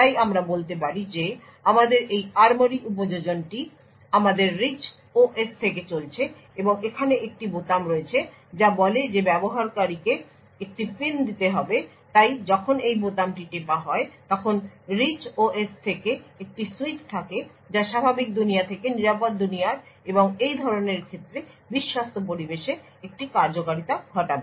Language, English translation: Bengali, So let us say we have this ARMORY application running from our Rich OS and there is one button over here which says that the user has to enter a PIN so when this button is pressed there is a switch from the Rich OS that is in the normal world to the secure world and in such a case and there would be an execution in the Trusted Environment